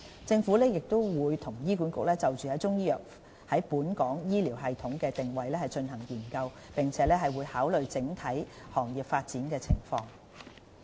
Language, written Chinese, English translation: Cantonese, 政府亦與醫管局就中醫藥在本港醫療系統的定位進行研究，並會考慮整體行業發展的情況。, The Government is now conducting a study with HA on the positioning of Chinese medicine in the local health care system and will consider the overall development of the industry